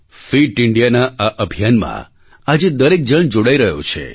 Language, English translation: Gujarati, Everybody is now getting connected with this Fit India Campaign